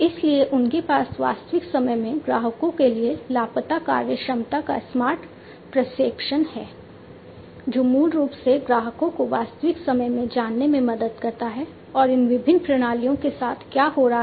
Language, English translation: Hindi, So, they have smart projection of missing functionalities to customers in real time, which basically helps the customers to know in real time, what is happening with these different systems